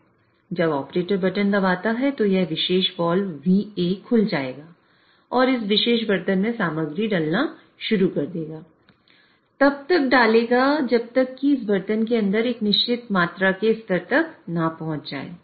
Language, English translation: Hindi, When the operator presses the button, this particular wall, VA will open and it will start putting material into this particular vessel and addition will be done till a certain amount of level is reached inside this vessel